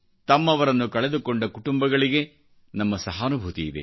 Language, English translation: Kannada, Our sympathies are with those families who lost their loved ones